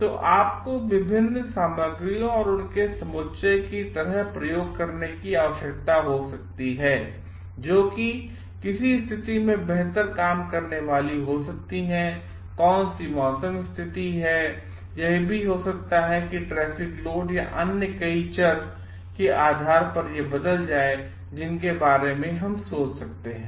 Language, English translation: Hindi, So, may be you need to experiment on like the different materials and their aggregate so which is going to work better in which situation, which weather condition and may be also this may change due to based on the traffic load and so many other variables that we may think of